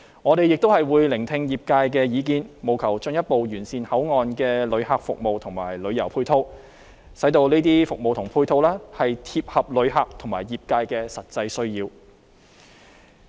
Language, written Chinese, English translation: Cantonese, 我們亦會聆聽業界意見，務求進一步完善口岸的旅客服務和旅遊配套，使這些服務和配套切合旅客和業界的實際需要。, We will also listen to views of the industry in order to further improve the visitors services at the Port and the supporting tourism facilities and to ensure that these services and supporting facilities meet the actual needs of visitors and the industry